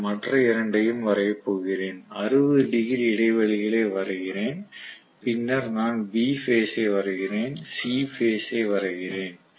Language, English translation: Tamil, I am going to draw the other two, so I am just drawing the 60 degree intervals then I am drawing B phase and I am drawing C phase